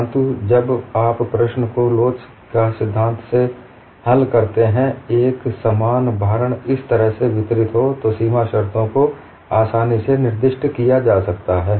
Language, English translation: Hindi, But when you solve the problem by theory of elasticity, the boundary conditions could be easily specified when the loading is distributed like this